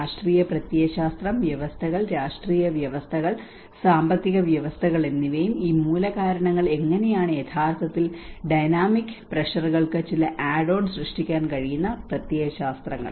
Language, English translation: Malayalam, Ideologies where the political ideology, the systems, political systems and economic systems and how these root causes can actually create certain add on to the dynamic pressures